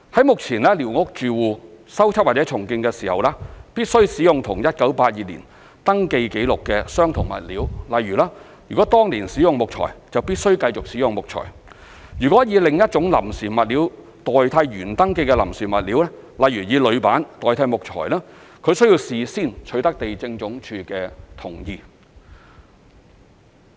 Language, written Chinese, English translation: Cantonese, 目前，寮屋住戶進行修葺或重建，必須使用與1982年登記紀錄相同的物料，例如：如當年使用木材，則必須繼續使用木材；如以另一種臨時物料代替原登記的臨時物料，例如以鋁板代替木材，則須事先取得地政總署的同意。, Currently squatter occupants must use the same building materials as recorded in the 1982 Survey when they repair or rebuild their squatters . For example if wood was used back then they must use wood again . Should another type of temporary materials be used to replace the one shown on the original record such as using aluminium plate to replace wood they must get the prior approval of the Lands Department